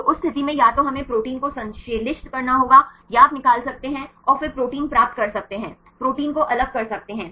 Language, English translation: Hindi, So, in that case either we have to synthesize the protein right or you can extract and then get the proteins, isolate the protein right